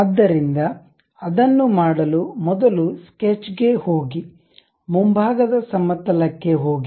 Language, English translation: Kannada, So, to do that, the first one is go to sketch, frontal plane